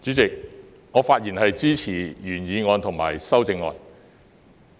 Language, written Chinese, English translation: Cantonese, 主席，我發言支持原議案及修正案。, President I speak in support of the original motion and the amendment